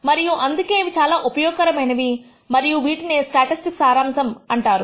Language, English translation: Telugu, And that is why the these are very useful and they are also called summary statistics